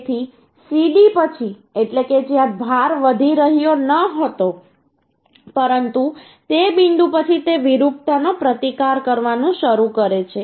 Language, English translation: Gujarati, So after CD means where load was not increasing, but after that point, uhh, it is starts resisting, uhh, deformation